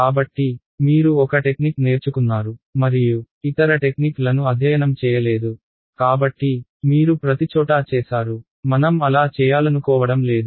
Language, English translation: Telugu, So, you learn one technique and you have not studied other techniques, so, you applied everywhere we do not want to do that